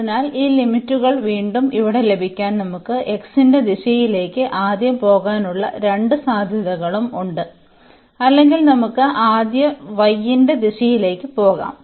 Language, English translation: Malayalam, So, to get this these limits here again we have both the possibilities we can go first in the direction of x or we can go in the direction of y first